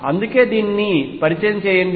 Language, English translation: Telugu, That is why introduce this